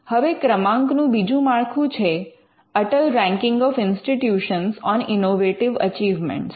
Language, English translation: Gujarati, Now, the other ranking framework is called the Atal Ranking of Institutions on Innovation Achievements